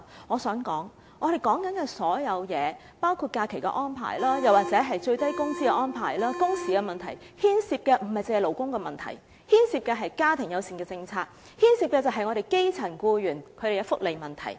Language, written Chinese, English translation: Cantonese, 我想指出，我們討論的所有問題，包括假期安排，又或是最低工資的安排、工時問題等，牽涉的不僅是勞工問題，而是家庭友善政策及基層僱員的福利問題。, I wish to point out that all the problems discussed by us including leave arrangements or the arrangements related to minimum wage working hours and so on do not merely involve labour issues but also the family - friendly policy and the benefits for grass - roots employees